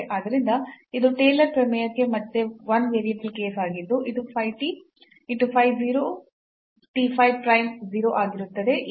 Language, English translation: Kannada, So, it is a 1 variable case again for the Taylor’s theorem which says that phi t will be phi 0 t phi prime 0 and so on